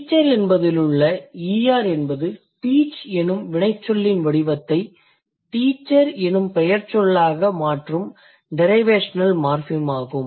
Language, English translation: Tamil, When you say teacher, ER is the derivational morphem which changes the form of the verb teach and makes it a noun teacher